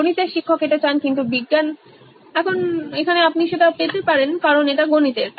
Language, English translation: Bengali, Maths teacher wants this, but the science, now you can’t get it because it’s in maths